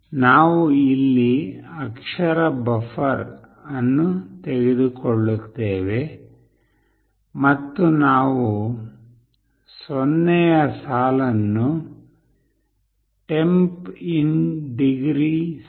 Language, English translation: Kannada, We take a character buffer here and we are setting the 0th line to “Temp in Degree C”